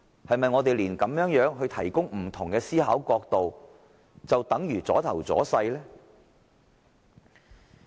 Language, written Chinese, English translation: Cantonese, 是否我們提供不同思考角度也等於"阻頭阻勢"？, Are we taken as posing obstacles when we are just providing a different angle for consideration?